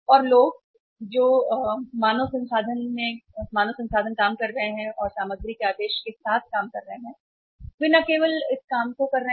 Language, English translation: Hindi, And the people, the human resources who are working and dealing with the ordering of the materials, they are not only doing this job